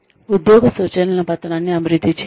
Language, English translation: Telugu, Develop a job instruction sheet